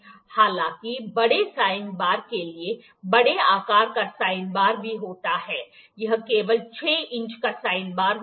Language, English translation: Hindi, However, for the bigger sine bar, there is big size sine bar as well this is only 6 inch sine bar